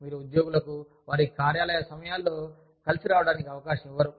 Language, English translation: Telugu, You do not give employees, a chance to get together, during their office hours